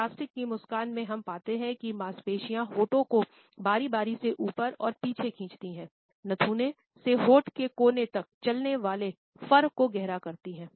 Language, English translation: Hindi, On the other hand, in false or plastic smiles we find that the muscles pull the lips obliquely upwards and back, deepening the furrows which run from the nostril to the corners of the lips